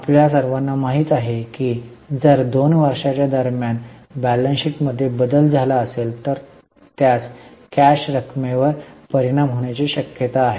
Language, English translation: Marathi, You all know that if there is a change in the balance sheet between the two years, that should be considered as most likely item of impact on cash